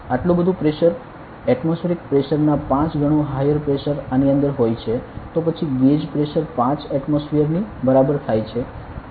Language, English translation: Gujarati, That much pressure that is like higher pressure 5 times the atmospheric pressure is inside this then the gauge pressure is equal to 5 atmospheres